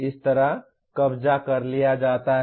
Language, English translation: Hindi, This is what is captured like this